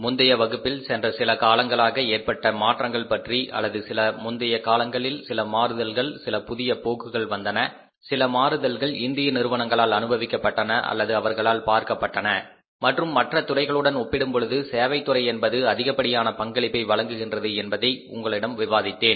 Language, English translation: Tamil, So, in the previous class we were talking about the current changes which we have taken place in the past some period of time or in the some recent past some changes, some new trends have come up, some changes have been experienced or seen by the industry in India also and I discussed with you those changes that now the role of the service industry is the highest or the biggest as compared to the other two sectors